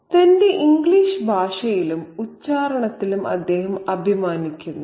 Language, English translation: Malayalam, He is proud of his English language and accent